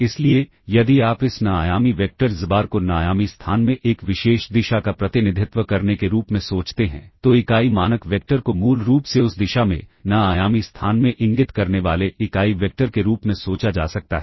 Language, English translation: Hindi, So, if you think of this n dimensional vector xbar as representing a particular direction in n dimensional space, the unit norm vector can think can be thought of as a unit vector basically pointing in that direction, in n dimensional space